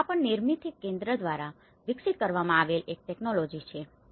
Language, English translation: Gujarati, So, this is also one of the technology, which Nirmithi Kendra have developed